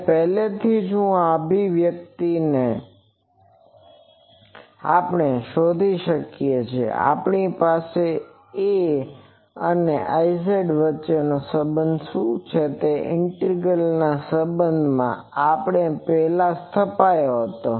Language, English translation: Gujarati, And already previously this expression we have found that, if we have that in terms of what is the relation between A and I z that is an integral relation in the previous we founded it